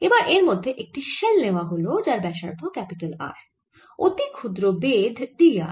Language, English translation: Bengali, that is a flux through this shell of radius r and thickness d r